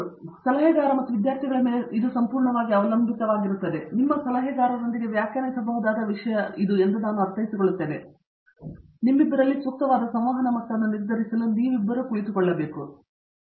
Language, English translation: Kannada, So it depends completely on the advisor and students, but I would look at that in the sense that this is something that you can define with your advisor, it’s just two of you sit down you decide level of interaction that is appropriate for you